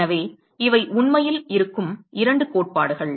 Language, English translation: Tamil, So, these are the 2 theories that are actually existing